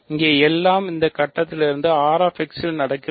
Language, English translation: Tamil, So, everything here is from this point onwards is happening in R x